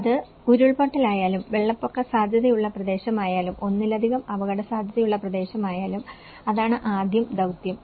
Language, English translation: Malayalam, Whether it is a landslide, whether it is a flood prone area, whether it is a multiple hazard prone, so that is first task